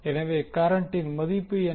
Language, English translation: Tamil, So what is the value of current